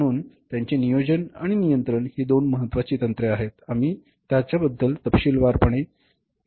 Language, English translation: Marathi, So planning and controlling there are the two important techniques and we will learn about them in detail